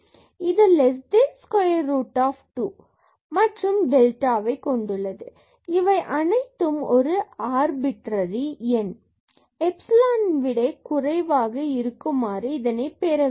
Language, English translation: Tamil, So, this is less than square root 2 and in terms of delta and this everything we want to make less than the arbitrary number epsilon